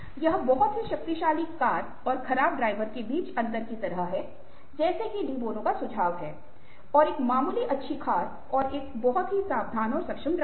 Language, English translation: Hindi, its like the difference, ah, between having a very powerful car and a poor driver, as de bonos suggests, and a moderately good car and a very, very careful and competitive driver